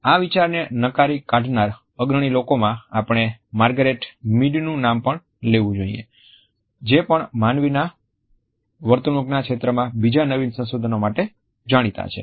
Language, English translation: Gujarati, Among the prominent people who had rejected this idea we also have to mention the name of Margaret Mead who is also known for otherwise path breaking research in the field of human behavior